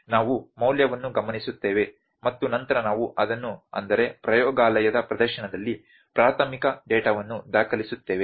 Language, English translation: Kannada, We observe the value then we record it that is primary data whatever in laboratory demonstration